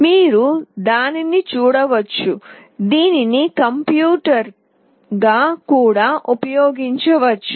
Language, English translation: Telugu, You can see that it can be used as a computer itself